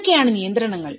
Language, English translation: Malayalam, What are the constraints